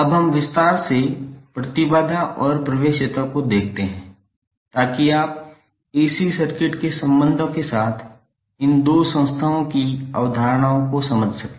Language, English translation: Hindi, Now let us look at impedance and admittance in detail so that you can understand the concepts of these two entities with relations to the AC circuit